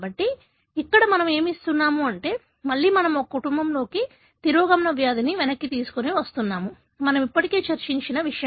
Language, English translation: Telugu, So, here what we are giving is, again we are putting back the recessive disease in a family, something that we already discussed